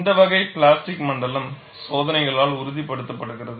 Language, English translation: Tamil, And this type of plastic zone is corroborated by experiments